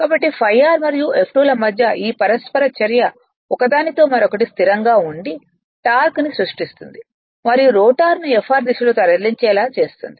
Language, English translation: Telugu, So, this interaction [be/between] between phi r and F2 right which are stationary is respect each other creates the torque and tending to move the rotor in the direction of Fr